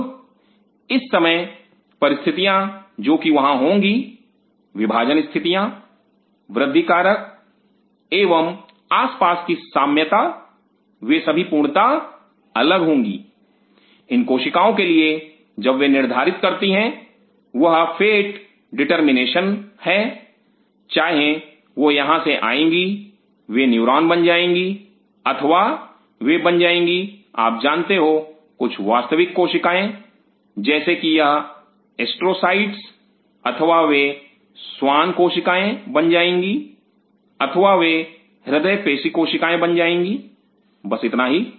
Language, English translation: Hindi, Now at this the conditions which will be there the dividing conditions the growth factors and the surrounding milieu will be entirely different for these cells when they decide they are fate determination whether they will be come from here they will be come and neuron or they become you know some real cell something like these astrocytes or they will become schwann cells or they become cardiomyocytes that is it